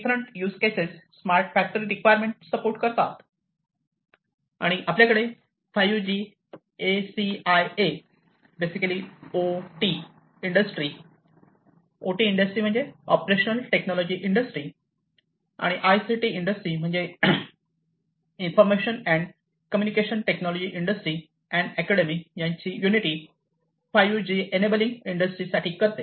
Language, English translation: Marathi, So, different use cases supporting the factory smart factory requirements and then you have the 5G – ACIA, which basically unites the OT industry OT means operational technology industries with the ICT industries information and communication technology industries and academia for enabling 5G for industries